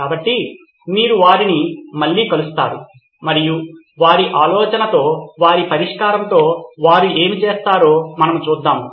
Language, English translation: Telugu, So you will meet them again and we will see what they do with their idea, their solution